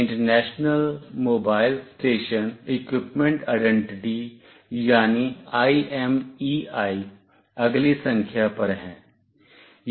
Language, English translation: Hindi, The next one is International Mobile station Equipment Identity, or IMEI number